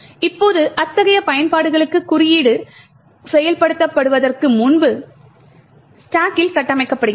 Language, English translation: Tamil, Now for such applications the code gets constructed on the stack before it gets executed